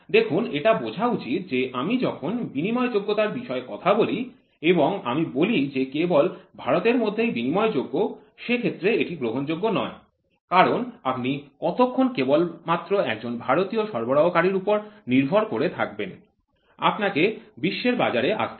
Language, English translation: Bengali, See you should understand when I try to talk about interchangeability and I say interchangeability within India it is not accepted because how long can it be only an Indian supplier, you have to get into the global market